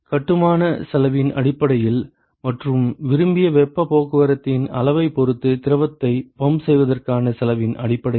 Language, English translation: Tamil, Both in terms of the cost of construction and in terms of cost of pumping the fluid with respect to what is the extent of heat transport that is desired